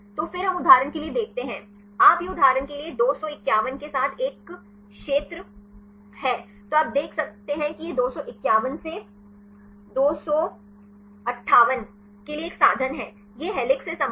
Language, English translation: Hindi, So, then we see for example, you this is a region with 251 for example, then you can see that this is a means for to 251 to 258 this belongs to helix